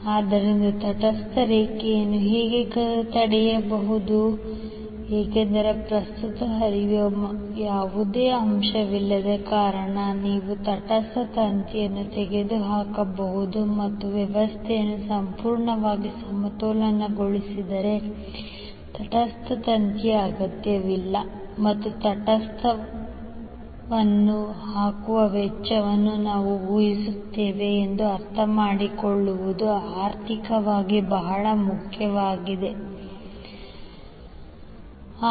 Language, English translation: Kannada, So neutral line can thus be removed because since, there is no current flowing you can remove the neutral wire and this is economically very important to understand that if the system is completely balanced the neutral wire is not required and we save cost of laying the neutral wire from source to load